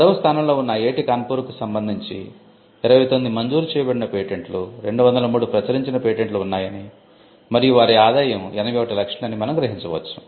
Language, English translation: Telugu, IIT Kanpur, which is ranked 10, has 29th granted patents, 203 published patents and their revenues in 81 lakhs